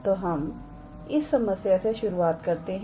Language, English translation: Hindi, So, let us start with this problem here